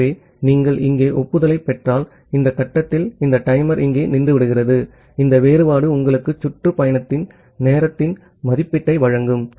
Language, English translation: Tamil, So, if you receive the acknowledgement here so at this stage you can think of that well this the timer stops here and this difference will give you an estimation of round trip time